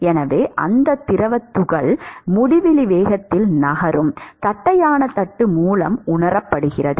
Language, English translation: Tamil, So, that fluid particle before it it is felt by the flat plate it is moving at a velocity of uinfinity